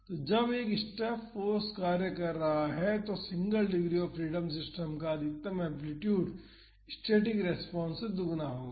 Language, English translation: Hindi, So, when a step force is acting the maximum amplitude of the single degree of freedom system will be twice that of the static response